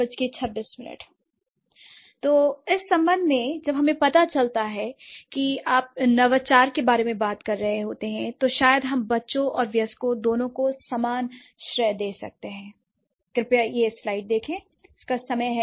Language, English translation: Hindi, So, in this connection now since we realize that when you are talking about innovation, maybe we can give equal credit to both the child, both the children and the adults